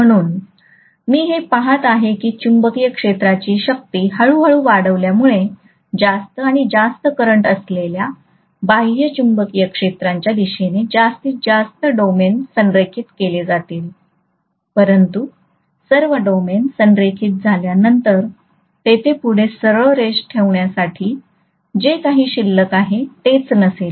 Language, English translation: Marathi, So I am going to see that slowly as the strength of the magnetic field increases due to higher and higher current I am going to have more and more domains aligned along the direction of the external magnetic field, but after all the domains are aligned, there is nothing that is left over to be aligned further